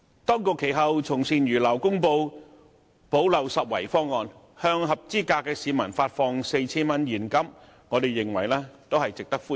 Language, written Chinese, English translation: Cantonese, 當局其後從善如流，公布補漏拾遺方案，向合資格市民發放 4,000 元現金，我們認為這項措施值得歡迎。, Fortunately the authorities concerned subsequently heeded sound advice and announced a proposal on making up for the inadequacy of the existing arrangements by granting 4,000 in cash to eligible members of the public . We consider this initiative worthy of support